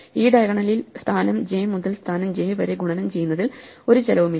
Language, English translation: Malayalam, There is no cost involved with doing any multiplication from position j to position j along this diagonal